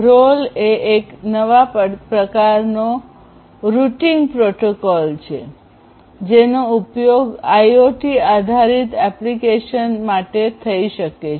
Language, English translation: Gujarati, So, ROLL is a new kind of routing protocol that can be used that can be used for IoT based applications